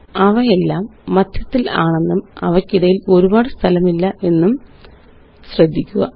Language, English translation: Malayalam, Notice that they are all centered and dont have a lot of space in between them